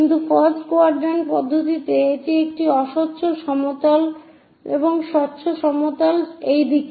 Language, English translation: Bengali, but in first quadrant system that is a opaque plane and the transparent plane is in this direction